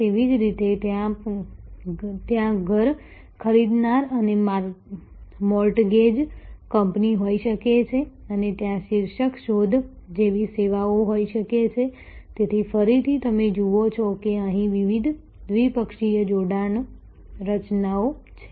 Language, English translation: Gujarati, Similarly, there can be home buyer and the mortgage company and there can be services like the title search, so again you see there are different bidirectional linkage formations here